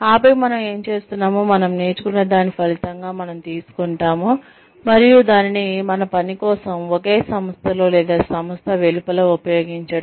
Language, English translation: Telugu, And then, taking whatever, we become, as a result of, what we learn, what we practice, what we do, and using it for our work lives, either within the same organization, or outside the organization